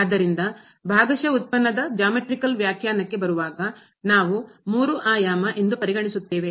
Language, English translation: Kannada, So, coming to Geometrical Interpretation of the Partial Derivative, we consider this plane three dimensional